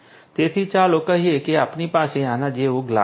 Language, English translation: Gujarati, So, let us say that we have a glass like this, we have a glass right